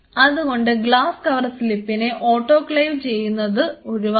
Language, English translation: Malayalam, So, please avoid autoclaving the glass cover slips